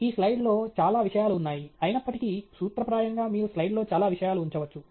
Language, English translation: Telugu, There are way too many things on this slide; although, in principle, you can put so many things on the slide